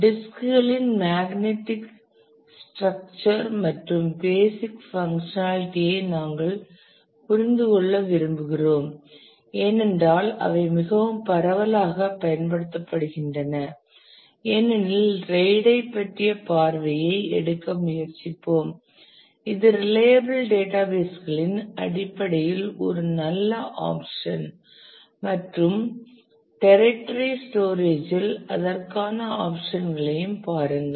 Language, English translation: Tamil, We would like to understand the structure and basic functionality of magnetic disks, because they are they are most widely used we will try to take the glimpse about RAID which is a kind of a good option in terms of reliable databases and also look at options for the tertiary storage